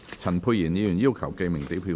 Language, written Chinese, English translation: Cantonese, 陳沛然議員要求點名表決。, Dr Pierre CHAN has claimed a division